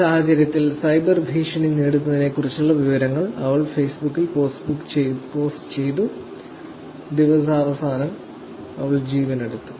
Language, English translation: Malayalam, In this case, she is being posting information about being cyber bullied done on Facebook, at the end of the day, she actually gives her life